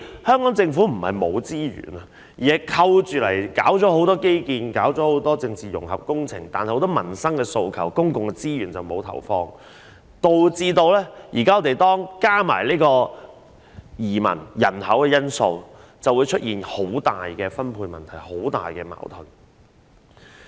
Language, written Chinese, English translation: Cantonese, 香港政府並非沒有資源，而是扣起進行很多基建和政治融合工程，至於很多民生訴求，則沒有投放公共資源處理，加上移民和人口因素，導致出現很大的分配問題和矛盾。, The Hong Kong Government has no lack of resources but many of them are reserved for the implementation of many infrastructural projects and projects to promote political integration while public resources have never been invested in response to many livelihood aspirations . The situation is aggravated by new immigrants and population factors resulting in serious problems and conflicts in the distribution of resources